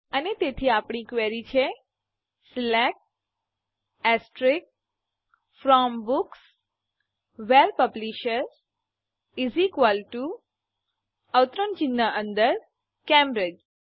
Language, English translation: Gujarati, And so, our query is, SELECT * FROM Books WHERE Publisher = Cambridge